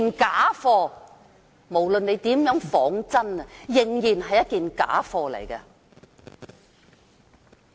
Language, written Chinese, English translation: Cantonese, 假貨無論如何仿真，仍然是假貨。, We cannot turn something that is fake into authentic no matter how hard we try